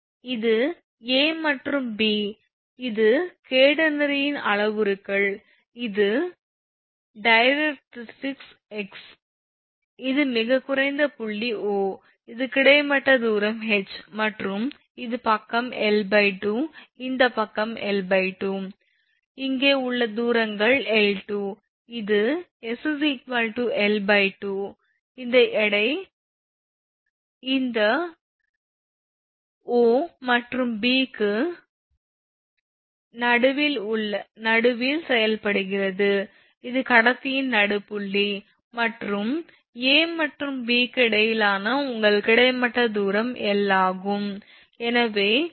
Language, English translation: Tamil, Next what we will do, suppose this is your same thing A and B at the same support right this is parameters of catenary this is your directrix this is say x, and this is the lowest point O this is that horizontal tension H right and this side is l by 2 this side is l by 2, and here that along this along this distance suppose say this this is your between l by 2, that you’re at s is equal to l by 2 this weight is acting in the middle of this portion right between O and B, this is the midpoint of the conductor and your horizontal distance between A and B is L